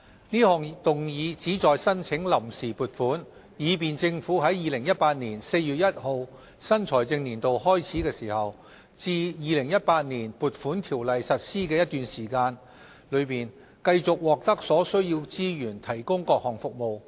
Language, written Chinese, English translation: Cantonese, 這項議案旨在申請臨時撥款，以便政府在2018年4月1日新財政年度開始至《2018年撥款條例》實施的一段期間，繼續獲得所需資源提供各項服務。, The purpose of this motion is to seek funds on account to enable the Government to continue to carry on its services between the start of the financial year on 1 April 2018 and the time when the Appropriation Ordinance 2018 comes into operation